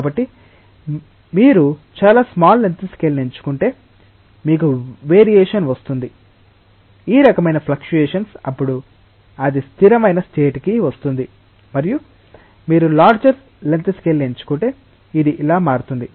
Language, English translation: Telugu, So, we will see that if you choose a very small length scale, you will get a variation, this type of fluctuation then it will come to a steady one and then if you choose a larger length scale, it will be changing like this